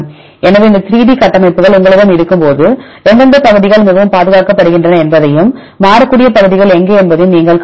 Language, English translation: Tamil, So, when you have these 3D structures then also you can see which regions are highly conserved and where are the variable regions